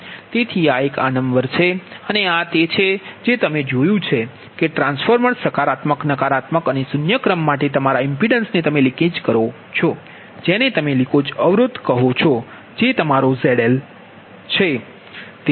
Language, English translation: Gujarati, whatever this, this, you saw that for transformer, positive, negative and zero sequence, your impedance, same as leakage, your what you call leakage impedance, that is, your z l